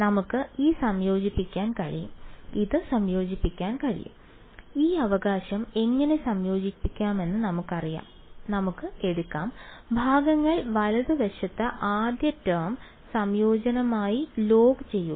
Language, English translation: Malayalam, We can just integrate it we know how to integrate this right we can take, log as the first term integration by parts right